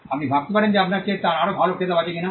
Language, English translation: Bengali, You may wonder whether he has a better title than you